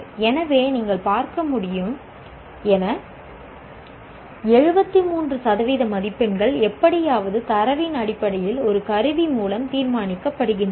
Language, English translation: Tamil, So, as you can see, 73% of the marks are somehow decided by a tool based on the data